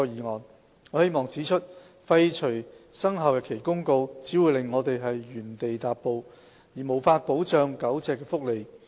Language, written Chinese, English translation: Cantonese, 我希望指出，廢除《生效日期公告》，只會令我們原地踏步，而無法保障狗隻的福利。, I wish to point out that repealing the Commencement Notice would only keep us from progressing and render us unable to protect the welfare of dogs